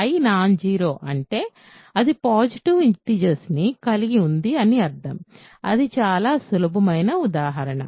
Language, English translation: Telugu, If I contains something non zero it contains positive integers, that is because very simple example